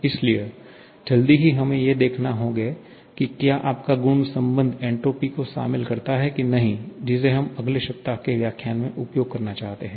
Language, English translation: Hindi, So, quickly we shall be checking out if your property relations involving entropy which we have to make use of in the following lectures in the next week itself